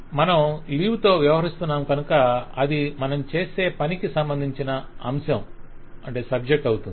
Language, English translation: Telugu, you deal with the leave, so it becomes a subject of what you do